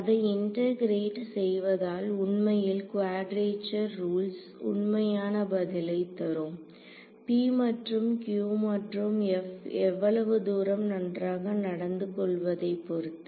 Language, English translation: Tamil, So, integrating them will in fact, give with quadrature rules will give exact answers as long as p and q and f are well behaved also ok